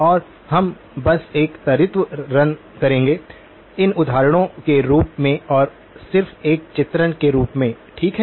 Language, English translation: Hindi, And we will just do a quick run through of the; of these examples and just as an illustrative exercise okay